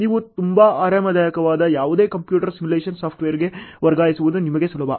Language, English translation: Kannada, Then it is easy for you to transfer into any computer simulation software that you are very comfortable with ok